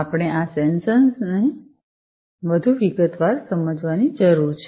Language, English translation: Gujarati, So, we need to understand these sensors, in more detail